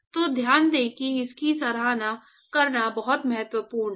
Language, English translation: Hindi, So, note that is very important to appreciate this